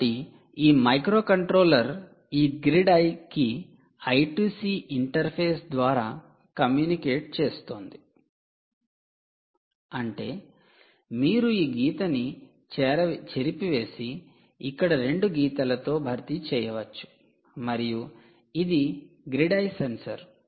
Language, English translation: Telugu, ok, so this microcontroller is essentially communicating to this grid eye over i two c interface, which means this: you can now rub off this line and nicely replace it with two lines here: ah, um, and this is the grid eye sensor